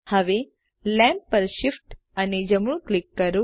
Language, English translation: Gujarati, Now Shift plus right click the lamp